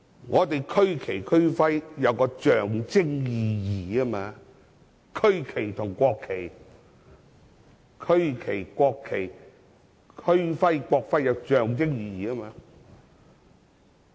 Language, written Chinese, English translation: Cantonese, 我們的區旗及區徽具有象徵意義，區旗、國旗、區徽及國徽是有象徵意義的。, Our regional flag and regional emblem carry symbolic meanings . The regional flag national flag regional emblem and national emblem carry symbolic meanings . We have seen many childrens paintings